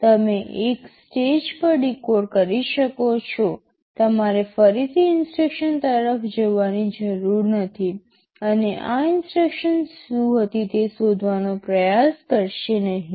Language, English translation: Gujarati, You can decode in one stage itself, you do not have to again look at the instruction and try to find out what this instruction was ok